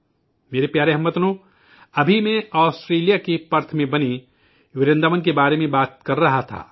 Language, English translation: Urdu, I was just referring to the subject of Vrindavan, built at Perth, Australia